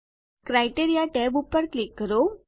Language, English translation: Gujarati, Lets click the Criteria tab